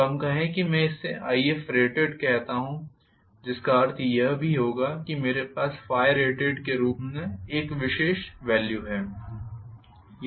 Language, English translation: Hindi, So, let us say this I call as IF rated which will also imply that I have a particular value as phi rated